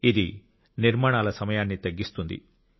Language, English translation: Telugu, This reduces the duration of construction